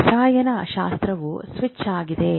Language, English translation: Kannada, No doubt chemistry is the switch